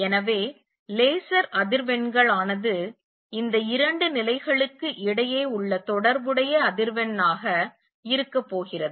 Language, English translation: Tamil, So, laser frequencies is going to be the corresponding to the frequency between the these two levels